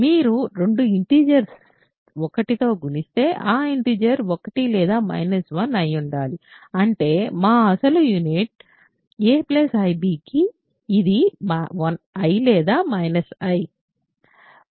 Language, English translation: Telugu, If, you have two integers multiplied to 1 those integers must be either 1 or minus 1; that means, a plus ib which was our original remember unit is either i or minus i which we already considered